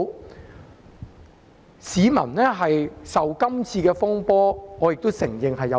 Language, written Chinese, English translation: Cantonese, 我承認市民受這次風波影響。, I admit that the public has been affected by this turmoil